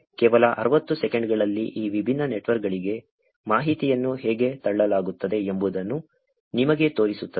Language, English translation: Kannada, Showing you how information is actually being pushed into these different networks in just 60 seconds